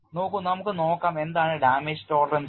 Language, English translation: Malayalam, See we look at what is damage tolerance